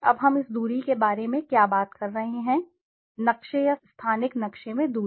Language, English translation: Hindi, Now what is this distance we are talking about, the distance in the map or the spatial map